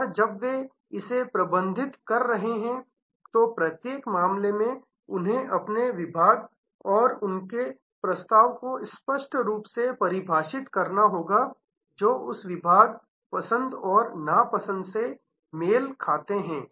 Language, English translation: Hindi, And when they are managing it, in each case they will have to very clearly define their segments and their offerings which match that segments, likes and dislikes